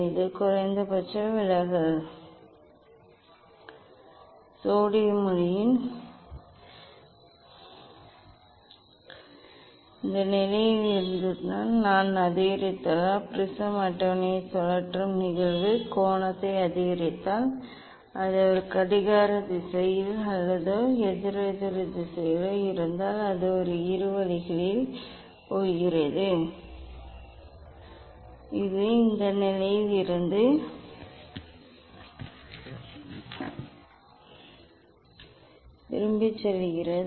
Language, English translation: Tamil, this is the minimum deviation position if I increase from this position if I increase the incident angle rotating the prism table say, if it is a clockwise or anticlockwise whatever in both ways it is going; it is going back from this position